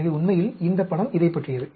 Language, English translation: Tamil, So, this is what this picture is about, actually